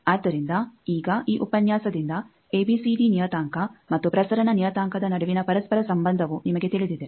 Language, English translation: Kannada, So, now, you know the interconnection between the ABCD parameter and transmission parameter that was this lecture